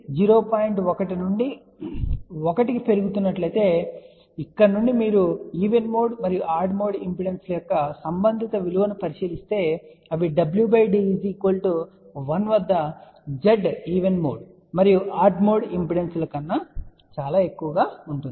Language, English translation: Telugu, 1 2 let us say 1 one can see that from here if you look at corresponding value of even mode and odd mode impedances they are relatively higher compare to if you look at the Z even mode and odd mode impedances corresponding to w by d equal to 1